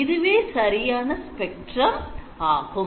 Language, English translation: Tamil, So, this is the correct spectrum that you should have